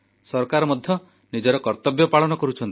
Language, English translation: Odia, The government is also playing its role